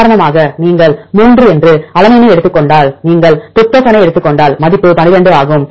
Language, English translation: Tamil, For example if you take alanine that is 3; if you take tryptophan the value is 12, if you take cysteine it is 9